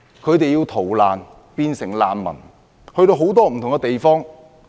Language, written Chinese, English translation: Cantonese, 他們成為難民，要逃難到不同地方。, The residents became refugees and have to flee to other places